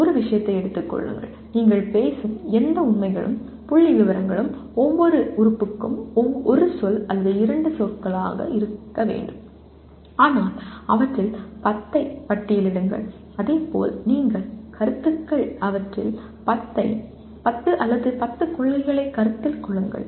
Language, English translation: Tamil, Take a subject and whatever facts and figures that you are talking about it needs to be one word or two words that is all for each element but list 10 of them and similarly list what you consider concepts, 10 of them or 10 principles